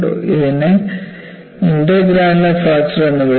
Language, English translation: Malayalam, So, that is called intergranular fracture